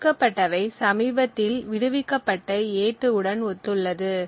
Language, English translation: Tamil, Also note that the memory that gets allocated corresponds to the recently freed a2